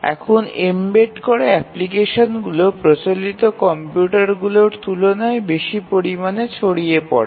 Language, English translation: Bengali, Now the embedded applications vastly outnumber the traditional computers